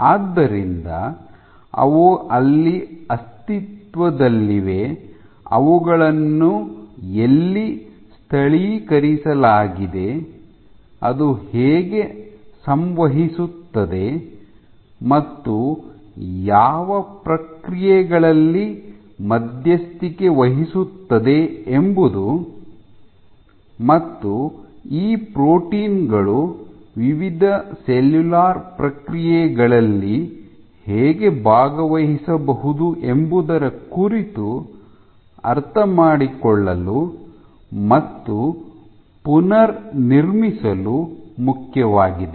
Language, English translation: Kannada, So, where they exist, where are they localized, with whom do they interact and what processes they mediate are all important to reconstruct our picture of how these proteins might be participating in various cellular processes ok